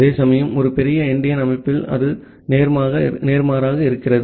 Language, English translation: Tamil, Whereas, in a big endian system, it is just opposite